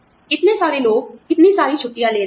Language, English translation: Hindi, So and so person is taking, so many vacations